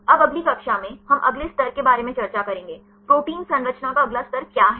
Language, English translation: Hindi, Now in the next class, we will discuss about the next level; what is next level of protein structure